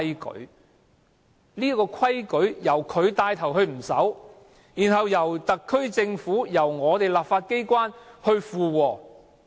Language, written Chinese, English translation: Cantonese, 可是，統治者現在帶頭不守這個規矩，並且由特區政府和我們的立法機關附和。, Yet our ruler takes the lead to break this principle followed by the SAR Government and our legislature